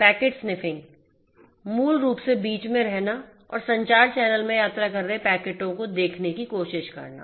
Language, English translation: Hindi, Packet sniffing; basically staying in between and trying to sniff the packets that are traveling, we in a communication channel